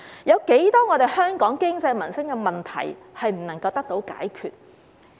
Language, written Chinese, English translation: Cantonese, 有多少香港的經濟民生問題無法得到解決呢？, How many economic and livelihood problems in Hong Kong had yet to be solved?